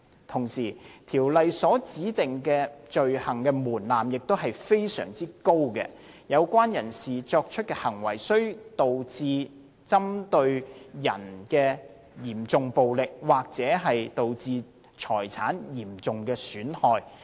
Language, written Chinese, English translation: Cantonese, 同時，《條例》所指定的罪行門檻亦非常高，有關人士作出的行為須導致針對人的嚴重暴力，或導致財產的嚴重損害。, Furthermore a very high threshold is required for an offence under the Ordinance . The act committed must cause serious violence against a person or serious damage to property